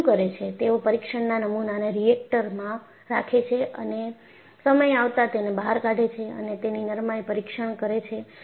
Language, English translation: Gujarati, So, what they do is, they keep test specimens in the reactor and take out periodically and tests it is ductility